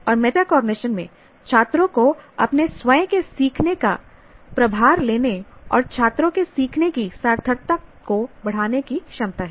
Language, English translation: Hindi, And metacognition has a potential to empower students to take charge of their own learning and to increase the meaningfulness of students learning